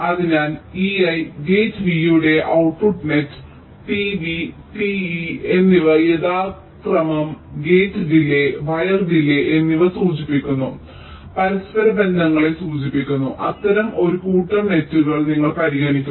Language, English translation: Malayalam, so we consider a set of such nets which indicate interconnections where e i is the output net of gate v, and t v and t e will denote the gate delay and wire delay respectively